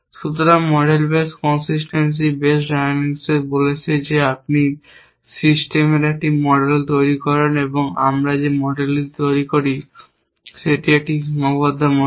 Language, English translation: Bengali, So, model base consistency base diagnosis got it says is that you construct a model of the system and a model that we build is a constrain model